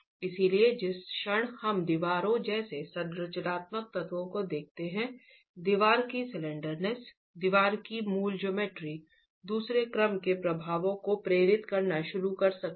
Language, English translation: Hindi, So the moment we look at structural elements like walls, the slendiness of the wall, the basic geometry of the wall can start inducing second order effects